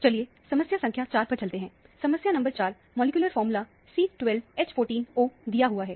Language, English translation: Hindi, Let us move on to problem number 4; problem number four, the molecular formula is given as C12H14O